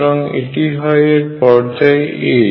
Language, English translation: Bengali, So, this is the period a